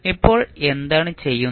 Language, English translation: Malayalam, Now, what we are doing